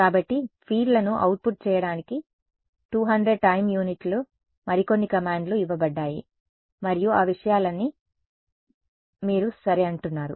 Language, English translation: Telugu, So, you say 200 time units some more commands are given to output the fields and all of those things ok